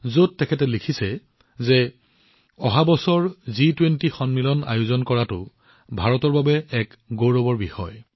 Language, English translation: Assamese, In this he has written that it is a matter of great pride for India to host the G20 summit next year